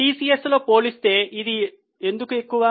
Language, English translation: Telugu, Why it is high compared to that in TCS